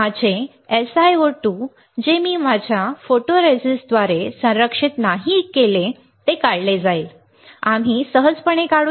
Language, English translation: Marathi, My SiO2 which is not protected by my photoresist will get etched, we will etched right easy